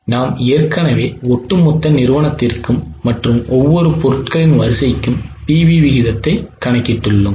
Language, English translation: Tamil, We have already calculated the PV ratios both for the company as a whole and as per the product line